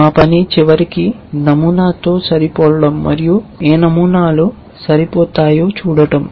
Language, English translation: Telugu, Our task is to eventually going to be the match the pattern and see which patterns match